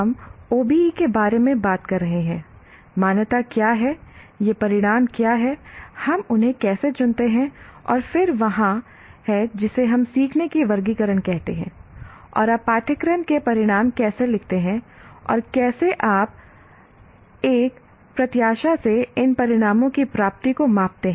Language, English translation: Hindi, We talk about OBE, what is accreditation, what are these outcomes, how do we choose them, and then there is what we call taxonomy of learning and how do you write course outcomes and how do you measure the attainment of these outcomes from an accreditation perspective